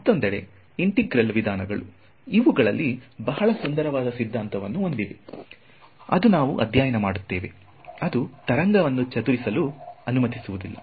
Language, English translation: Kannada, On the other hand, integral methods have a very beautiful theory within them which we will study which do not allow the wave to disperse